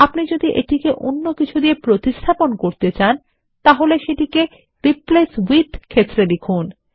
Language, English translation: Bengali, Enter the text that you want to replace this with in the Replace with field